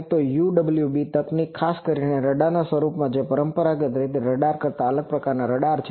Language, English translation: Gujarati, So, UWB technology particularly in the form of radars which are a different kind of radars than the conventional radars